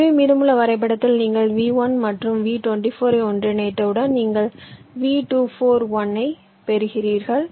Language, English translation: Tamil, so in the remaining graph, well, once you, you see one thing: once you merge v one and v two, four, you get v two, four, one